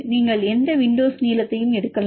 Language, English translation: Tamil, You can take any window length